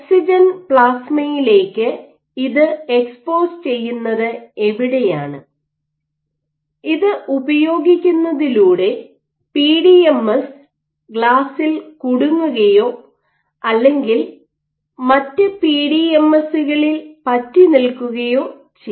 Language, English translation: Malayalam, So, where you expose this to oxygen plasma and using this you can have PDMS stuck to glass or PDMS sticking to other PDMS